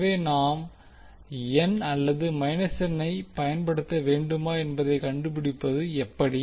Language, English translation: Tamil, So how to find out whether we should use plus n or minus n